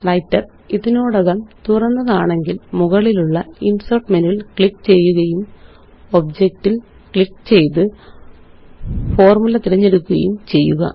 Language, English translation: Malayalam, If Writer is already open, then click on the Insert menu at the top and then click on Object and choose Formula